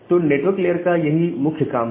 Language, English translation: Hindi, So, that is the broad objective of the network layer